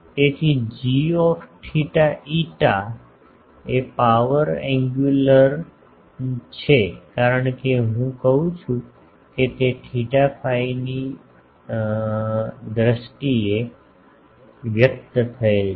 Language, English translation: Gujarati, So, g theta phi is the power angular because I am saying it is expressed in terms of theta phi